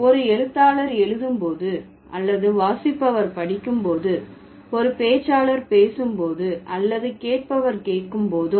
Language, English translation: Tamil, When a writer writes or reader reads, when a speaker speaks, a listener listens